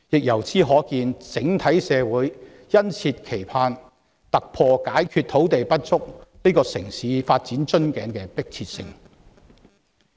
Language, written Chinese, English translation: Cantonese, 由此可見，整體社會殷切期盼土地不足這個城市發展的瓶頸可以消除，這個迫切問題得到解決。, It shows that society at large eagerly looks forward to the eradication of land shortage which is a bottleneck of urban development and to a solution to the pressing problem